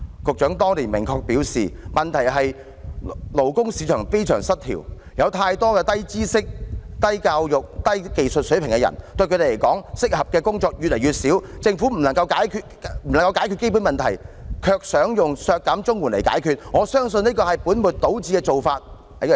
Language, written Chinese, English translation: Cantonese, 局長當年明確表示，問題是勞工市場非常失調，有太多低知識、低教育、低技術水平的人，對他們來說，適合的工作越來越少，政府不能解決基本問題，卻想利用削減綜援來解決，他相信這是本末倒置的做法。, Back then the Secretary made it most categorically clear that the problem lied in the extreme imbalance in the labour market . He said that workers with low knowledge level low education level and low skill level were great in number in the labour market but the jobs suitable for them were decreasing yet the Government failing to resolve this fundamental problem attempted to address the problem by imposing the CSSA cut . He considered such a practice comparable to putting the cart before the horse